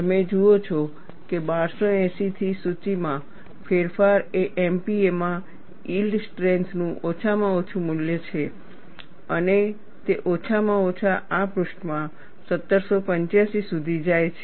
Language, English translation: Gujarati, You see the list changes; from 1280 is the least value of yield strength in MPa, and it goes up to 1785 at least, in this page